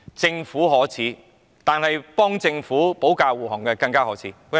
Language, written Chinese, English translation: Cantonese, 政府可耻，但為政府保駕護航的人更加可耻。, The Government is shameless . Those who defend the Government are even more shameless